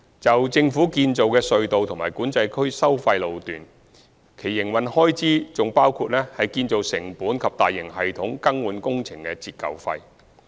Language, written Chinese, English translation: Cantonese, 就政府建造的隧道及管制區收費路段，其營運開支還包括建造成本及大型系統更換工程的折舊費。, For government - built tunnels and tolled sections in the Control Areas their respective operating expenditures also include the depreciation charges of the construction costs and the depreciation costs of major system replacement works